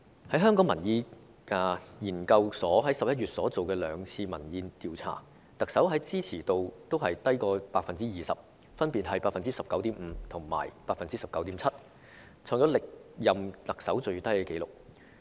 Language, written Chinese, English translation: Cantonese, 香港民意研究所在11月進行的兩次民意調查顯示，特首的支持度均低於 20%， 分別為 19.5% 和 19.7%， 創下歷任特首的最低紀錄。, In November the Hong Kong Public Opinion Research Institute conducted two opinion polls which showed that the Chief Executives popularity ratings were lower than 20 % ; it was 19.5 % and 19.7 % respectively the lowest in record for anyone who had held the Chief Executive office